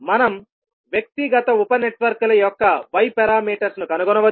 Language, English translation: Telugu, Now we have got Y parameters of individual sub networks, what we can do